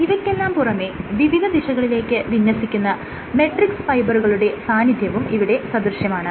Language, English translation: Malayalam, But at the same time what you also have is these matrix fibers have different orientations